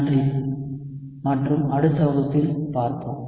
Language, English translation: Tamil, Thank you and see you in the next class